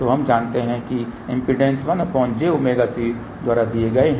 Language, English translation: Hindi, So, we know that impedances given by 1 over j omega C